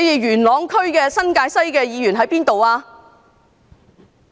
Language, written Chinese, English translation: Cantonese, 元朗區新界西的議員在哪裏？, Where were the District Council members of Yuen Long and New Territories West?